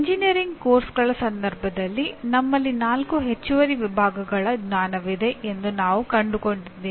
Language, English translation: Kannada, Now in case of engineering courses, we found that we have four additional categories of knowledge